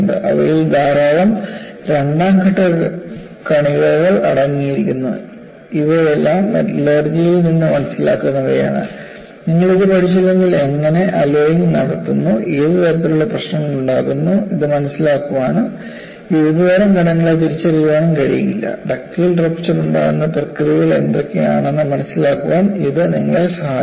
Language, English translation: Malayalam, They contain a large number of second phase particles, these are all understanding from metallurgy, say unless, you go into, how alloying is done and what kind of issues, you will not be able to appreciate this and recognizing the kind of various particles, helps you to understand, what are the processors, by which ductile rupture takes place